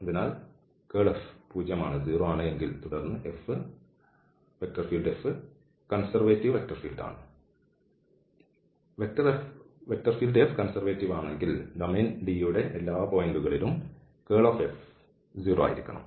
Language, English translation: Malayalam, So, this is the curl of F is zero, then F is conservative and if F is conservative then the curl F has to be at all points of the domain D